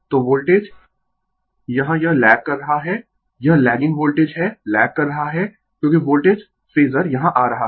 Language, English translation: Hindi, So, Voltage here it is lagging right it is lagging Voltage is lagging because Voltage Phasor is coming here